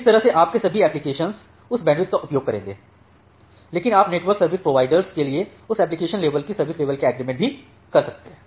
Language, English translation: Hindi, So, that way all your applications will use that bandwidth, but you can also do that application level service level agreement to it the network service provider